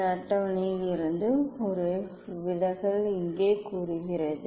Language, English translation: Tamil, here says this the one deviation from this table